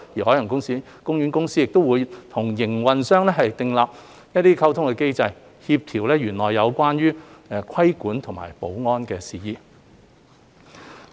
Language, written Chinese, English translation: Cantonese, 海洋公園公司亦會與營運商訂立溝通機制，協調園內有關規管和保安的事宜。, OPC will also establish a communication mechanism with the operators to coordinate matters relating to the regulation and security in OP